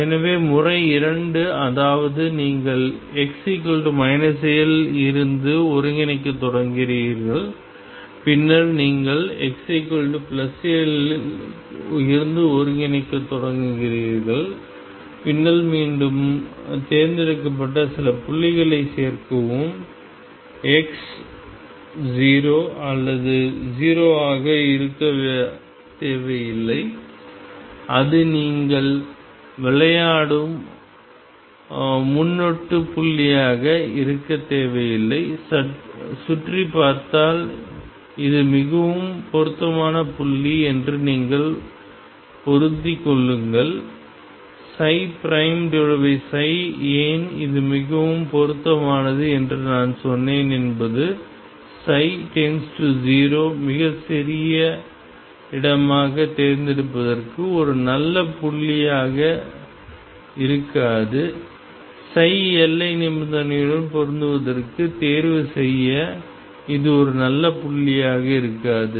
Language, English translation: Tamil, So, method two, which was that you start integrating from x equals minus L onwards you start integrating from x plus L coming back and then add some suitably chosen point x 0, it need not be 0 it need not be a prefix point you play around and see which is the best suited point and you match psi prime over psi why I said it is best suited point is a place where psi goes to 0 would not be a good point to choose a place where psi becomes very small would not be a good point to choose to match the boundary condition